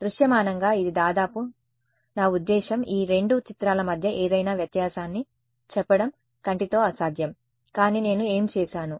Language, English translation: Telugu, Visually it is almost, I mean, next to impossible with a naked eye, to tell any difference between these two images, but what I have done